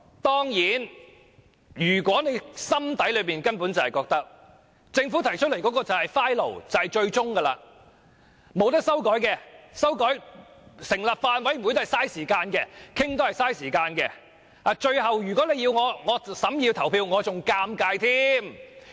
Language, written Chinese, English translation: Cantonese, 當然，他們心裏可能會覺得，政府提出的條文就是最終定案，不能修改，成立法案委員會只是浪費時間，討論也是浪費時間，最後，如果要他們審議法案及投票，只會令他們尷尬。, They may probably think that the provisions drafted by the Government are final and no changes should be made and that the formation of a Bills Committee to examine and discuss the bill is just a waste of time . Last but not least they would feel embarrassed if they are asked to consider and vote on the Bill